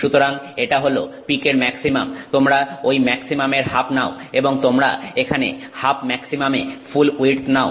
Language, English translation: Bengali, You take the half half of that maximum and you take the full width here at half maximum